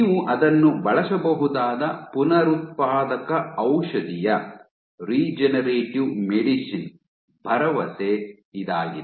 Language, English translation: Kannada, That is the promise of regenerative medicine you can use it